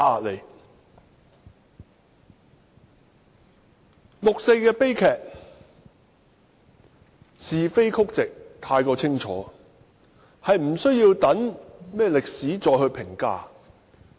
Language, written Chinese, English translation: Cantonese, 六四悲劇的是非曲直太過清楚，並無需要留待歷史再評價。, The rights and wrongs of the 4 June incident cannot be clearer and there is no need to let history be the judge